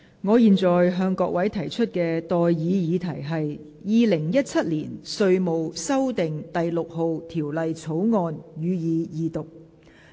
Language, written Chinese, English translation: Cantonese, 我現在向各位提出的待議議題是：《2017年稅務條例草案》，予以二讀。, I now propose the question to you and that is That the Inland Revenue Amendment No . 6 Bill 2017 be read the Second time